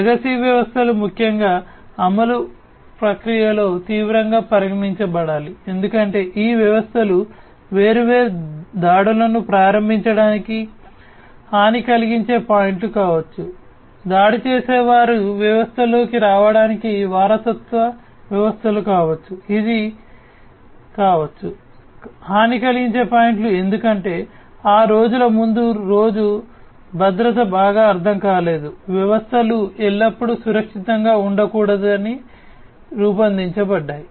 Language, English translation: Telugu, So, legacy systems particularly should be taken seriously in the in the in the process of implementation because these systems might be the points of vulnerability for launching different attacks, for the attackers to get into the system the legacy systems could be the ones, which could be the vulnerable points because those days earlier days security was not well understood systems were designed not to be always secured and so on